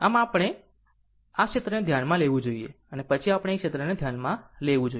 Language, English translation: Gujarati, So, first we have to consider this area and then we have to consider this area